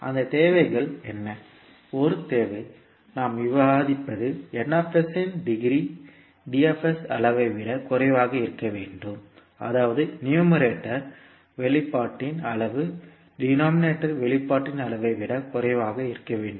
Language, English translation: Tamil, What was those requirements, one requirement, which we discuss was the degree of Ns must be less than the degree of Ds, that is degree of numerator expression should be less than the degree of expression in denominator